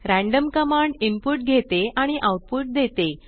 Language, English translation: Marathi, random command takes input and returns output